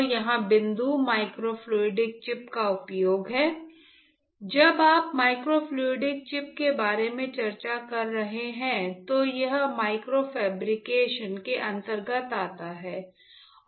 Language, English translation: Hindi, So, the point here is the use of microfluidic chip, when you are discussing about my microfluidic chip it comes under micro fabrication right